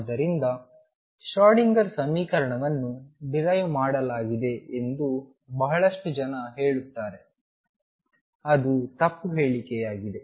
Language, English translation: Kannada, So, please be aware of that lot of people say derived Schrödinger equation that is a wrong statement to make